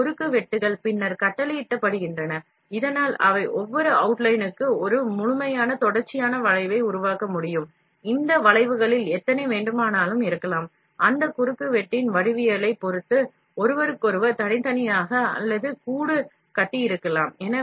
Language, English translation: Tamil, These intersections are then ordered, so that, they can form a complete continuous curve for each outline, there may be any number of these curves, either separate or nested inside of each other, depending upon the geometry of that cross section